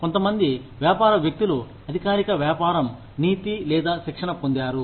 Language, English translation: Telugu, Few business people have received, formal business ethics or training